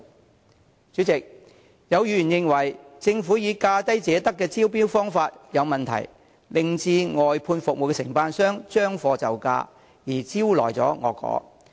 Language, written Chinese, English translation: Cantonese, 代理主席，有議員認為政府以"價低者得"的原則進行招標有問題，令外判服務承辦商"將貨就價"而招來惡果。, Deputy President some Members consider that it is inappropriate of the Government to invite tenders according to the lowest bid wins principle which gives rise to the problem of outsourced service contractors providing inferior services at lower prices and creating negative consequences